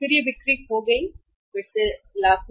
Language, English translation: Hindi, Then it was lost sales; Rs, lakhs again